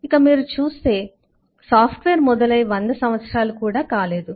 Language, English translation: Telugu, so if you look at then, software is not of 100 years old